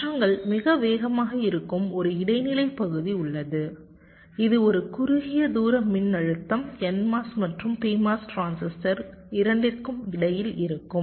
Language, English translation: Tamil, there is an intermediate region where the transitions is very fast, a short range of voltage during which both the n mos and p mos transistors may be conducting